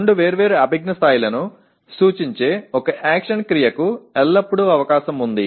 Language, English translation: Telugu, There is always a possibility one action verb representing two different cognitive levels